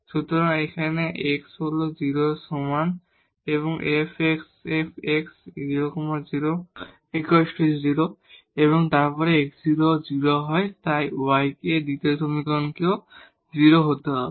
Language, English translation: Bengali, So, here x is equal to 0 makes this f x 0 and then when x is 0, so y has to be also 0 from the second equation